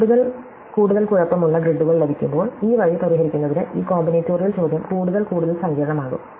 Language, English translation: Malayalam, So, as we get more and more messy grids, this combinatorial question becomes more and more complicated to solve this way